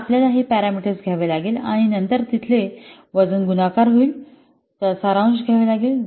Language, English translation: Marathi, So you have to take up this parameter, this parameter parameter and then the weight they will be multiplied